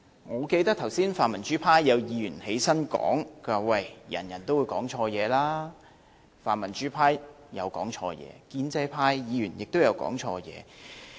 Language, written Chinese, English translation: Cantonese, 我記得剛才泛民主派有議員發言表示，每個人都有機會講錯說話，泛民主派曾講錯說話，建制派議員亦曾講錯說話。, I recall a pro - democratic Member indicated just now in his speech that everyone would have the opportunity of speaking the wrong things the pan - democrats would say wrongly and so would the pro - establishment Members